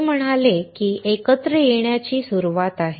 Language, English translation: Marathi, He said that coming together is beginning